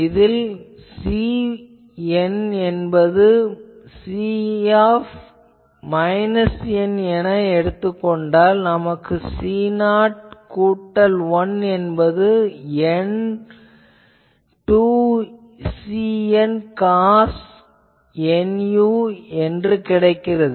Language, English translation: Tamil, Now, if we choose C n is equal to C of minus n, then we get if becomes C 0 plus n is equal to 1 to capital N 2 C n cos n u